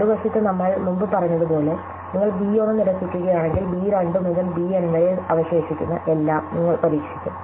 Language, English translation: Malayalam, On the other hand, if you rule out b 1 as we said before you will try out everything that remains namely b 2 to b N